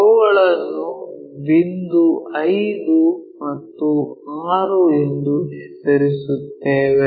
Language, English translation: Kannada, Let us name them 5 and point 6